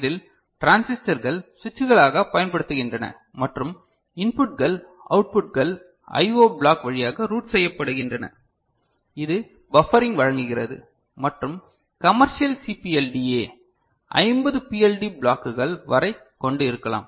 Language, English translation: Tamil, And in this, transistors are used as switches and inputs outputs are routed through I O block which offers buffering and commercial CPLDa can have up to 50 PLD blocks, right